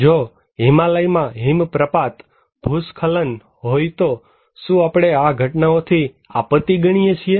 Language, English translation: Gujarati, If we have avalanches, landslides in Himalayas, do we consider these events as disasters